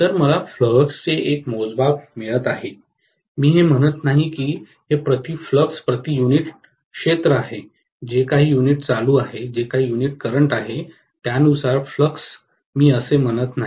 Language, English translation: Marathi, So I am getting a measure of flux, I am not saying it is exactly flux per unit area, flux per whatever unit turn, I am not saying that at all